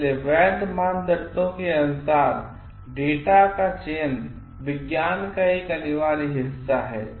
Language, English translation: Hindi, So, as per the legitimate criteria, data of selection is an indispensable part of science